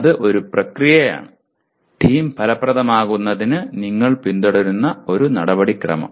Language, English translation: Malayalam, That is a process, a procedure that you will follow for the team to be effective, okay